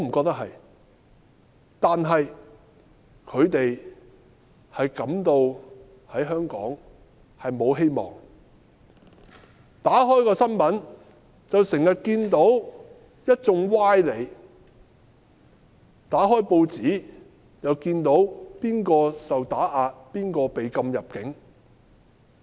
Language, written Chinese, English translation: Cantonese, 但是他們感到在香港沒有希望，打開電視看新聞報道，經常看到一眾歪理，打開報紙又見到誰受打壓，誰被禁入境。, I do not think they really want to leave but they feel hopeless in Hong Kong . Television news often covers people making fallacious arguments and newspapers carry stories of those who are suppressed or denied entry